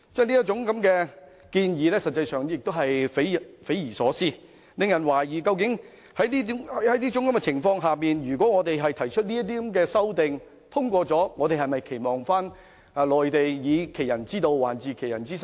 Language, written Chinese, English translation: Cantonese, 這種建議實際上匪夷所思，令人懷疑在這種情況下，如果我們提出的修正案獲得通過，我們是否期望內地會以其人之道還治其人之身？, Such a proposal is actually inconceivable which prompts us to question whether in that case we expect the Mainland to give us a taste of our own medicine if our amendments are passed?